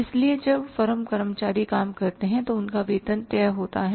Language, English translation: Hindi, So, then employees working in the firm, his salary is fixed